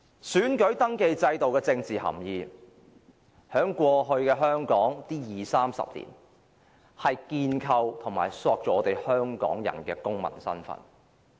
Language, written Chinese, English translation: Cantonese, 選民登記制度具有政治含義，在過去二三十年的香港，這制度建構和塑造了我們香港人的公民身份。, The voter registration system carries a political significance in the sense that over the past two or three decades in Hong Kong it has established and shaped our identity as Hong Kong citizens